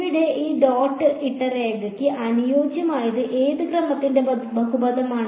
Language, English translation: Malayalam, Here I fit this dotted line was a polynomial of what order